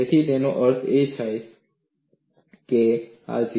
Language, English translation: Gujarati, So, that means, it is very close to this 0